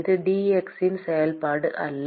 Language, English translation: Tamil, It is not a function of dx